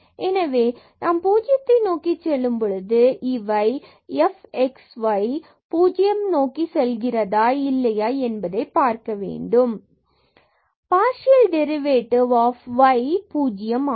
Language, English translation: Tamil, So, we are approaching to 0 0, we want to see whether f x as x y goes to 0 is equal to the partial derivative of f at 0 0 point which was 0 there